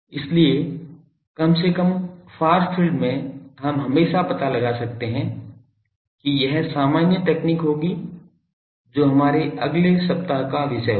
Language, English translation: Hindi, So, at least far field we can always find out that will be a generalised technique that will be the theme of our next weeks thing ok